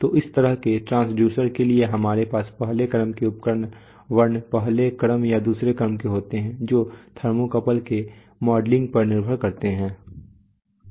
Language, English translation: Hindi, So for such transducers we have a first order instrument character first order or second order so that will depend on the modeling of the, of the thermocouple